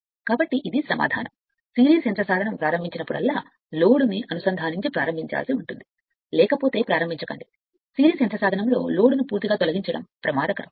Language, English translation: Telugu, So that means, series motor whenever you start you have to start with the connecting some load, then you start right otherwise this is dangerous to remove the load completely for series motor